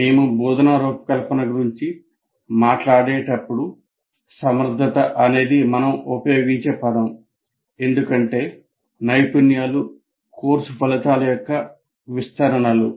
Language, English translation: Telugu, Strictly speaking when we talk about instruction design, competency is the word that we will use because competencies are elaborations of course outcomes